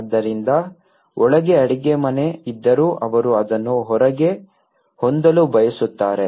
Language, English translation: Kannada, So, in despite of having a kitchen inside but still, they prefer to have it outside as well